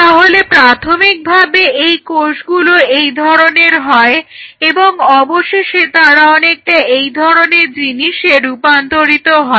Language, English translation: Bengali, So, the fate of these cells is like this initially they are like this and eventually they become something like this